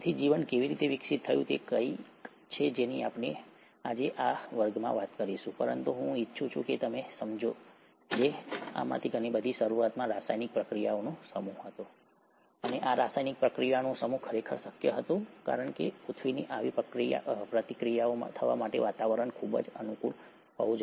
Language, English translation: Gujarati, So, how did the life evolve is something that we’ll talk in this class today, but I want you to understand that a lot of this was initially a set of chemical reactions, and these set of chemical reactions were actually possible because the earth’s atmosphere was highly conducive for such reactions to happen